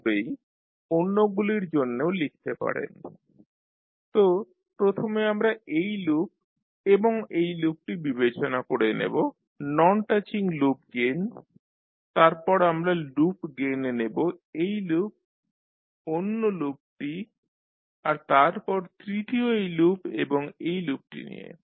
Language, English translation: Bengali, Similarly, for others also you can write, so first we will take non touching loop gain by considering this loop and this loop then we take the loop gain by taking this loop and the other loop and then third one you take this loop and this loop